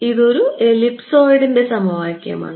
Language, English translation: Malayalam, It is an equation of an ellipsoid